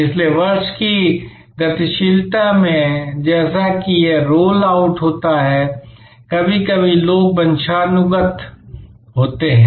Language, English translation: Hindi, So, in the dynamics of the year as it rolls out, sometimes people are desynchronized